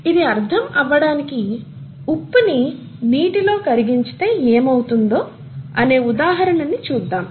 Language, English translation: Telugu, To understand that, let us look at an example of what happens when common salt dissolves in water